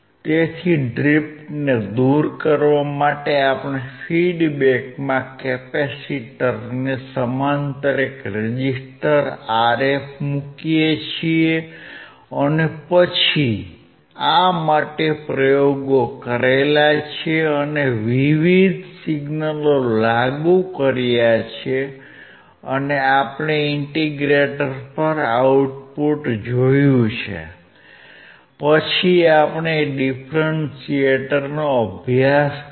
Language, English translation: Gujarati, So, to remove the drift we put a resistor Rf across the capacitor in the feedback and then, we have performed the experiments and we have applied different signals and we have seen the output at the integrator, then we took our differentiator